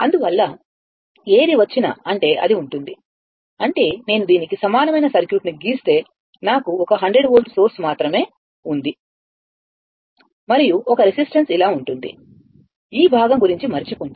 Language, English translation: Telugu, Therefore, whatever it comes; that means, it will be ; that means, if I draw the equivalent circuit of this one, suppose, then I have only one , your 100 volt source and one resistance is like this, forget about this part